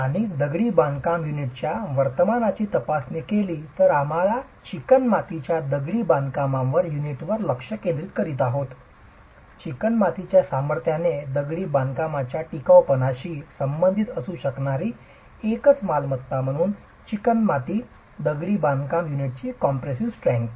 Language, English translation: Marathi, We are focusing now on the clay masonry unit, the compressive strength of clay masonry unit, as one single property that can be related to the strength of masonry, the durability of masonry